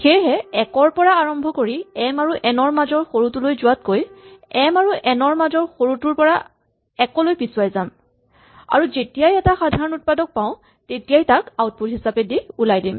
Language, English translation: Assamese, So, instead of starting from 1 and working upwards to the minimum of m and n its better to start with minimum of m and n and work backwards to one, and as soon as we find a common factor we report it and exit